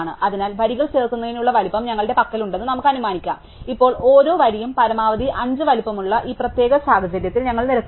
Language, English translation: Malayalam, So, let us assume that we have the size available of insert the rows, now we row in this particular case that each row is a size five at most